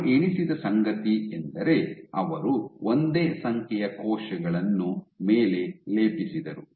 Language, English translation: Kannada, So, what they counted was they plated the same number of cells on top